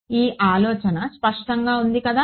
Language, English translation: Telugu, But is the idea clear